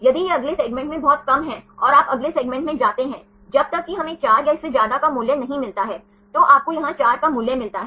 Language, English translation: Hindi, If it is very less go to the next segment and you go to the next segment until the where we get the value of 4 right you get the value of 4 here